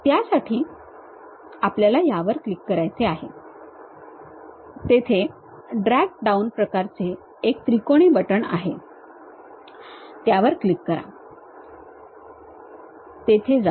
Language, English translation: Marathi, For that what we have to do is click this one there is a drag down kind of button the triangular one click that, go there